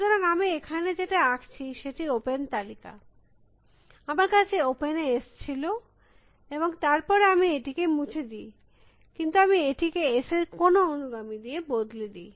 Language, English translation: Bengali, So, what I am drawing here is open list, I had S in open and then I delete it, but I replace it with some successors of S